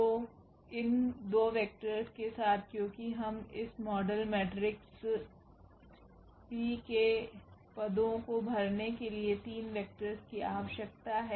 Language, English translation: Hindi, So, with these 2 vectors because we need 3 vectors to fill the positions of this model matrix P